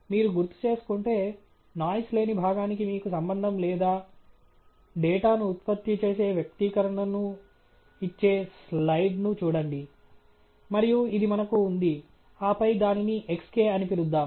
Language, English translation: Telugu, If you recall, go and refer to the slide which gives you the relationship or the data generating expression for the noise free part, and this is what we had, and then let us call that as xk